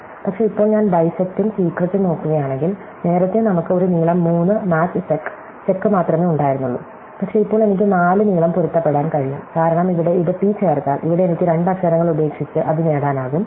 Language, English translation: Malayalam, But, now if I look at bisect and secret, earlier we only had a length 3 match sec, sec, but now I can extend this match to length 4, because here if we add it t, here I can drop two letters and get a t